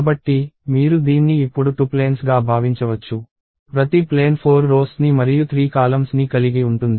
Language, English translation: Telugu, So, you can now think of this as two planes; each plane having 4 rows and 3 columns